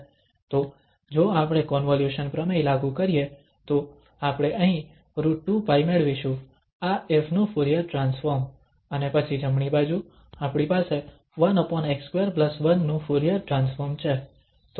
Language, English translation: Gujarati, So, if we apply the Convolution Theorem then we will get here square root 2 pi the Fourier transform of this f, the Fourier transform of this f and then the right hand side we have the Fourier transform of 1 over x square and this plus 1